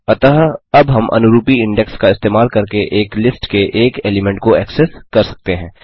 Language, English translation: Hindi, So now we can access an element of a list using corresponding index